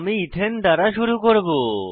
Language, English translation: Bengali, We will begin with a model of Ethane